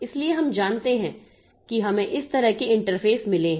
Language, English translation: Hindi, o devices so we know that we have got interfaces like this